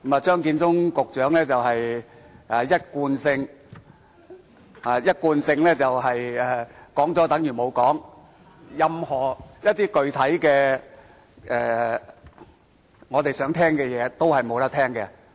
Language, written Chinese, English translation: Cantonese, 張建宗局長一貫是說了等於沒說，任何具體的、我們想聽到的話，他都沒有說。, As usual Secretary Matthew CHEUNGs speech is devoid of any contents and he fails to provide any specific information that we would like to know